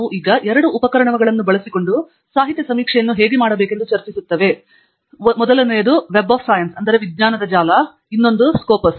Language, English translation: Kannada, We will be discussing how to do literature survey using two tools: one is Web of Science and the other one is Scopus